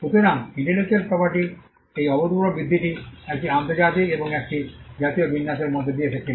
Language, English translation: Bengali, So, this phenomenal growth of intellectual property came through an international and a national arrangement